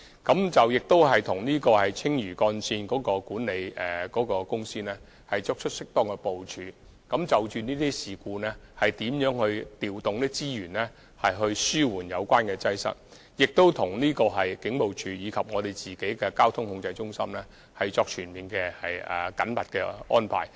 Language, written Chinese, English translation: Cantonese, 我們亦與青嶼幹線的管理公司，作出適當的部署，在發生這類事故時，調動資源來紓緩擠塞情況，並與警務處及運輸署的交通控制中心，作出全面及緊密的安排。, We will have proper arrangements with the management company of the Lantau Link such that resources can be deployed to relieve congestion in case of such incidents . We will also put in place comprehensive and sophisticated arrangements with the Police Force and the Traffic Control Centre of TD